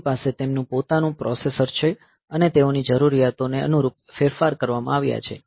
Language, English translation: Gujarati, So, they have their own processor and they are modified to suit the requirement that they have